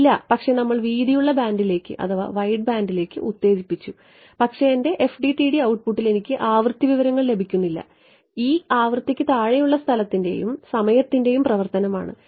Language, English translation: Malayalam, No, but we are exciting into the wideband, but I am not getting frequency information in my FDTSs output is what E as a function of space and time below frequency